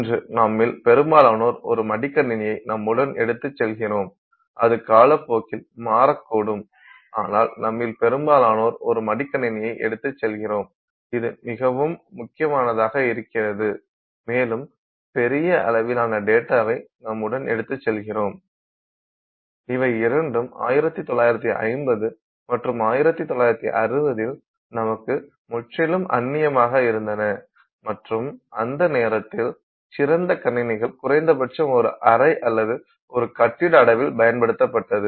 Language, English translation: Tamil, I mean today we carry most of us carry a laptop with us and even that may change with time but most of us carry a laptop which is phenomenally powerful and we carry huge amounts of data with us, both of which were completely, you know, alien to society in say 1950s and 1960s and you know that point in time, the best computers used to used to be at least a room sized computer or even a building sized computer